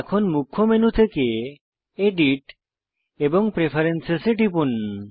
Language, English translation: Bengali, From the Main menu, select Edit and Preferences